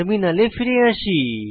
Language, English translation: Bengali, Lets go back to the terminal